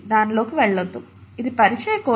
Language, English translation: Telugu, Let’s not get into that, this is an introductory course